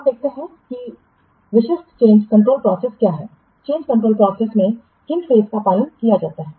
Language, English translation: Hindi, Now let's see what are the typical change control process, what steps are followed in the change control process